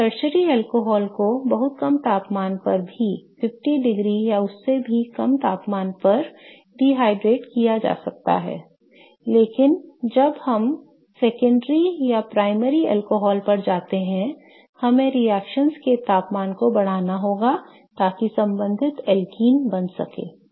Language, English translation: Hindi, So, tertiary alcohols can be dehydrated at very low temperatures even 50 degrees or so but as we go to secondary or primary alcohols we have to elevate the temperatures of the reactions so that to form the corresponding alkenes